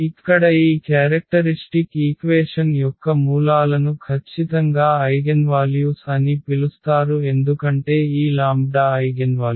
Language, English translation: Telugu, So, here the roots of this characteristic equation are exactly called the eigenvalues because this lambda is the eigenvalue